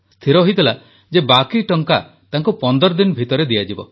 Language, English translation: Odia, It had been decided that the outstanding amount would be cleared in fifteen days